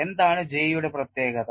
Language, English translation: Malayalam, And what is the specialty of J